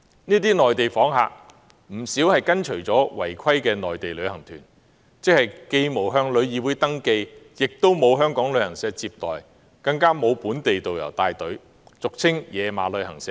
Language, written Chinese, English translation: Cantonese, 這些內地訪客不少是跟隨違規的內地旅行團來港的，這些旅行團既沒有向旅議會登記，亦沒有香港旅行社接待，更沒有本地導遊帶隊，俗稱"野馬"的旅行社。, Many of these Mainland visitors have joined non - compliant Mainland tour groups to Hong Kong . These tour groups have not been registered with TIC are not received by travel agents of Hong Kong and do not have local tourist guides . They are unauthorized travel agents